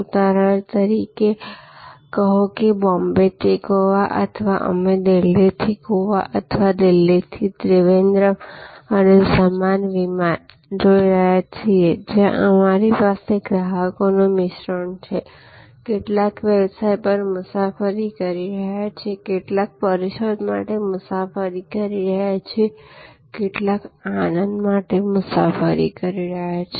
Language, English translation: Gujarati, Say for example, Bombay to Goa or we are looking at Delhi to Goa or Delhi to Trivandrum and similar flights, flights, where we have a mix of customers, some are traveling on business, some are traveling for conferences, some are traveling for pleasure and tourism and so on